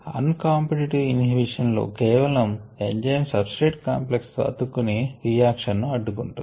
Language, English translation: Telugu, in the uncompetitive inhibition, it binds only to the enzyme substrate complex and inhibits